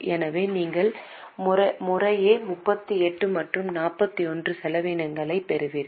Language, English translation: Tamil, So, you get total expense of 38 and 41 respectively